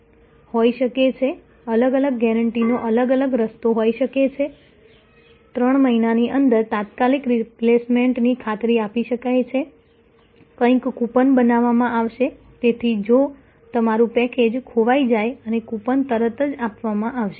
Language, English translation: Gujarati, It can be multi attribute, there can be separate different path of guarantees of different something can be guaranteed for immediate replacement within 3 months, something can be a coupon will be given, so if your package is lost and the coupon will be given immediately